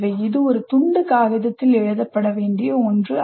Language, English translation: Tamil, This is not just some something to be written on a piece of paper